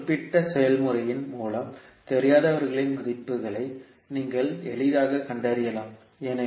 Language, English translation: Tamil, So basically with this particular process, you can easily find out the values of the unknowns